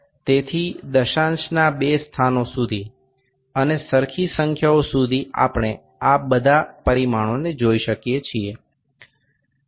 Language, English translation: Gujarati, So, up to two places of decimals and even numbers we can see all these dimensions